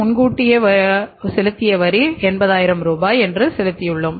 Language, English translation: Tamil, We have paid advance taxes 80,000 rupees